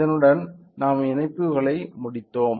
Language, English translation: Tamil, So, with this we finished our connections